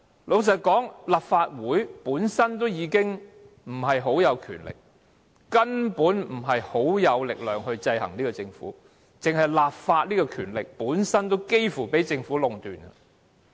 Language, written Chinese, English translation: Cantonese, 老實說，立法會本身已權力不大，根本無力制衡政府，單是立法這項權力本身也幾乎被政府壟斷。, To be frank the Legislative Council in itself does not have much power to keep the Government in check . Almost all of the legislative power is in the hands of the Government